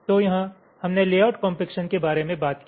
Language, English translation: Hindi, so here we talked about layout compaction